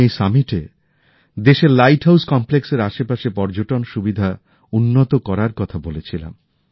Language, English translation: Bengali, At this summit, I had talked of developing tourism facilities around the light house complexes in the country